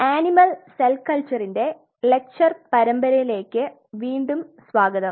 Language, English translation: Malayalam, Welcome back to the lecture series in Animal Cell Culture